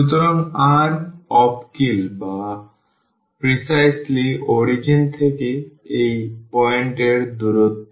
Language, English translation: Bengali, So, r is precisely the distance from the origin to this point